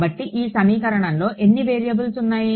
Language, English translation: Telugu, So, how many variables were there in this equation